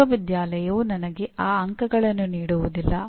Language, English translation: Kannada, The university is not going to give me those marks